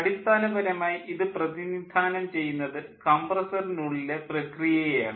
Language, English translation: Malayalam, basically this represents the process in the compressor